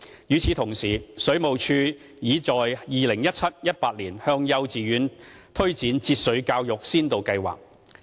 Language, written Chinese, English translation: Cantonese, 與此同時，水務署擬在 2017-2018 學年向幼稚園推展節水教育先導計劃。, At the same time the Water Supplies Department is planning to launch a pilot scheme to extend water conservation education to kindergartens in the 2017 - 2018 school year